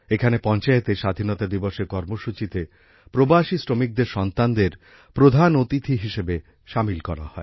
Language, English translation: Bengali, Here the children of migrant laborers were included as chief guests in the Independence Day Programme of the Panchayat